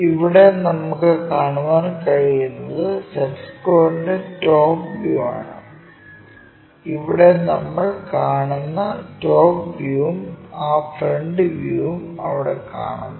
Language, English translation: Malayalam, So, what you are actually observing is top view of that set square and that top view here we are seeing and that front view one is seeing there